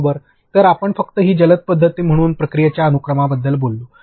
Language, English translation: Marathi, So, you just talked about sequence of process as this agile method